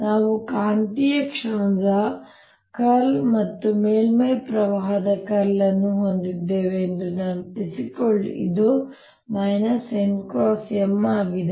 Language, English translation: Kannada, recall that we had j bound, which was curl of magnetic moment, and surface current, which was minus n cross m